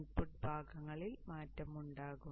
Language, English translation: Malayalam, There will be changed in the input portions